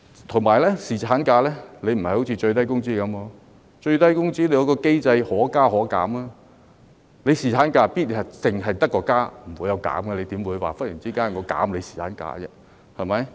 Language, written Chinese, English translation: Cantonese, 再者，侍產假有別於最低工資政策，最低工資政策下還有可加可減的機制，侍產假卻必然只會增加，不會減少，怎會忽然間減少侍產假呢？, Besides paternity leave is different from the minimum wage in the sense that the minimum wage policy is equipped with a mechanism for upward and downward adjustments . In the case of paternity leave however its duration will always be on the increase rather than decrease . How will it be possible to shorten the paternity leave duration all of a sudden?